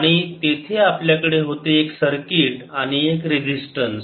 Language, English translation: Marathi, i could have assumed this to be one circuit here and one resistance